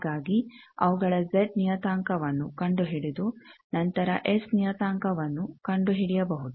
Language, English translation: Kannada, So, their Z parameter finding is easier you can do that and then come to S parameter